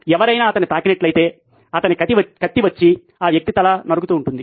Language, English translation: Telugu, If somebody touched him, off came his sword and off came that person’s head